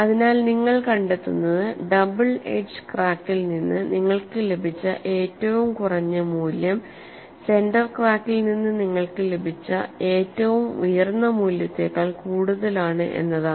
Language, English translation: Malayalam, So what you find is that the least value that you have got from the double edge crack is higher than the highest value you got from the center crack, but they were close